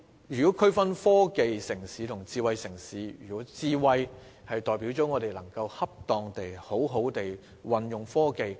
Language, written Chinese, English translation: Cantonese, 如要區分科技城市和智慧城市，"智慧"代表我們能恰當地善用科技。, As regards the question of how to distinguish between a technological city and a smart city smart means that we can properly make good use of technology